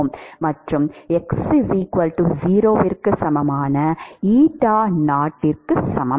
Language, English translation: Tamil, So, this is x, and this is x equal to 0